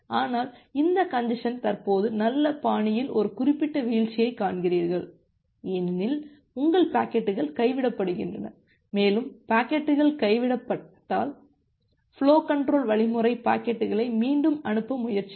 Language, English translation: Tamil, But at the moment there is this congestion, you see a certain drop in the good put because your packets are getting dropped and if packets are getting dropped, the flow control algorithm will try to retransmit the packets